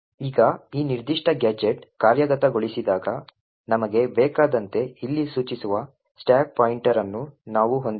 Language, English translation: Kannada, Now when this particular gadget executes, we have the stack pointer pointing here as we want